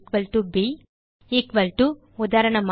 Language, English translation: Tamil, agt=b Equal to: eg